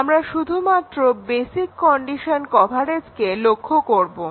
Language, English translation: Bengali, We just looked at the basic condition coverage